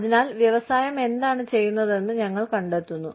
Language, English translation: Malayalam, So, we find out, what is being done, by the industry